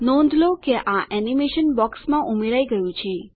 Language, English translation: Gujarati, Notice, that this animation has been added to the box